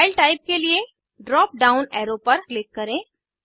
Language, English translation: Hindi, For File type, click on the drop down arrow